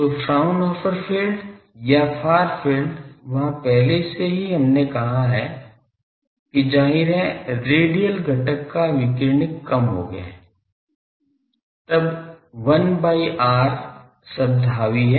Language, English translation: Hindi, So, Fraunhofer or far field there already we have said that; obviously, the radiating the radial component has diminished, then 1 by r term dominates